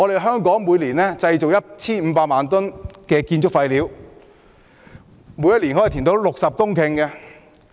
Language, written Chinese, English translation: Cantonese, 香港每年製造 1,500 萬公噸建築廢料，可以填出60公頃土地。, In Hong Kong 15 million tonnes of construction waste are generated every year the volume of which can reclaim 60 hectares of land